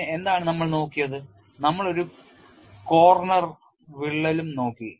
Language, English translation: Malayalam, Then what we looked at we have also looked at a corner crack